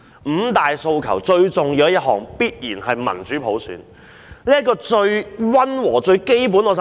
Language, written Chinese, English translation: Cantonese, 五大訴求最重要的一項，必然是民主普選。這是最溫和、最基本的。, Of the five demands the most important one is definitely democratic election by universal suffrage which is the mildest and the most fundamental demand